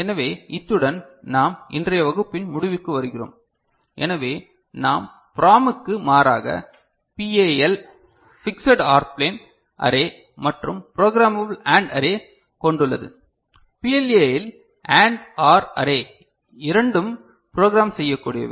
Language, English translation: Tamil, So, with this we conclude today’s class, so what we have seen that in contrast to PROM PAL has fixed OR array and programmable AND array right and in PLA both and AND, OR array are programmable